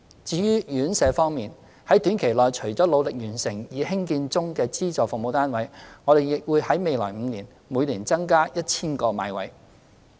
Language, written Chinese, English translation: Cantonese, 至於院舍服務，在短期內除努力完成興建中的資助服務單位外，我們亦會在未來5年，每年增加 1,000 個買位。, As for residential care services in the short term we will endeavour to complete the construction of units providing subsidized services and purchase an additional 1 000 places in each of the next five years